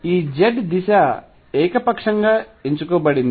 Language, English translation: Telugu, So, z is chosen arbitrarily